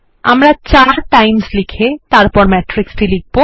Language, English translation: Bengali, We will first write 4 times followed by the matrix